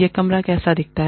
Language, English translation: Hindi, What this room, looks like